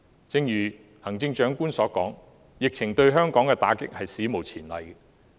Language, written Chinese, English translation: Cantonese, 正如行政長官所說，疫情對香港的打擊是史無前例的。, As stated by the Chief Executive the blow to Hong Kong from the epidemic is unprecedented